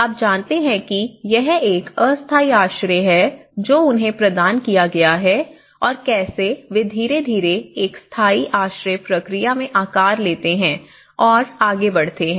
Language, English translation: Hindi, You know there is a temporary shelter which they have been provided for them and how they gradually shaped into or progressed into a permanent shelter process